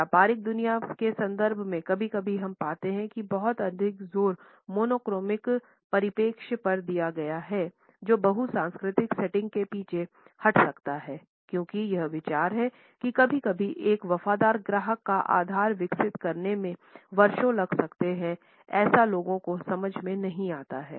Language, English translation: Hindi, In the context of the business world sometimes we find that too much of an emphasis on monochronic perspective can backfire in a multicultural setting because the idea that sometimes it may take years to develop a loyal customer base is not understood by such people